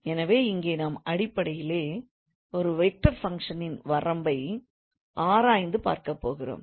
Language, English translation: Tamil, So here also we will basically look into the limit of vector functions